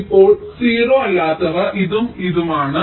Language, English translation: Malayalam, now the non zero ones are this and this